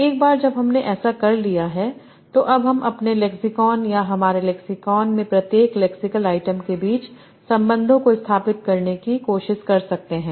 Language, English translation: Hindi, Once I have done that, now I can try to establish relations between various lexemes in my lexicon or each lexical items in my lexicon